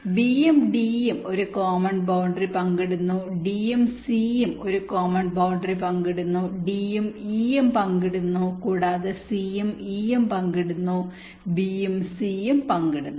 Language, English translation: Malayalam, b and d is sharing a common boundary, d and c is sharing a boundary, d and e is also sharing, and c and e is also sharing